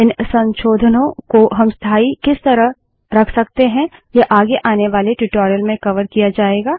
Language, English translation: Hindi, The way by which we can make these modifications permanent will be covered in some advanced tutorial